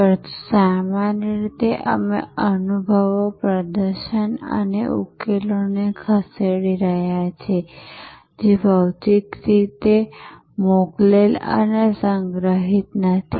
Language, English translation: Gujarati, But, generally we are moving experiences, performances and solutions which are not physically shipped and stored